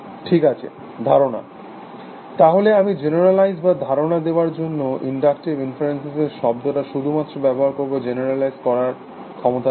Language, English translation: Bengali, Ok Assumptions So, I will just use a term inductive inferences or in other words to generalize, ability to generalize